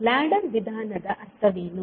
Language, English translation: Kannada, So, what does ladder method means